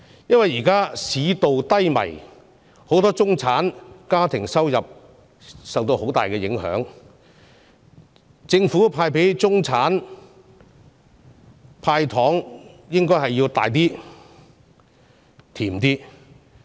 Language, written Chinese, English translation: Cantonese, 現時市道低迷，很多中產家庭的收入受到很大影響，政府應該向中產派大一點、甜一點的"糖"。, Given the present economic slump which has seriously affected the income of many middle - class families the Government should dole out larger and sweeter candies to the middle class